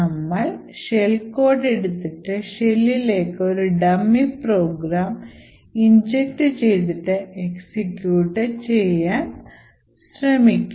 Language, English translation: Malayalam, We will take a shell code and we will inject the shell code into a dummy program and then force this shell code to execute